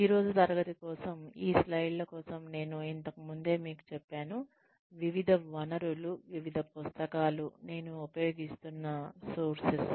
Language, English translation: Telugu, Sources, that I will be using, for the class today, are like, I have told you earlier, various sources, various books, that I have used, for making these slides